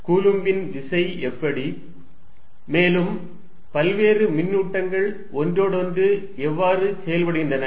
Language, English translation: Tamil, How about Coulomb's force and how different charge is interact with each other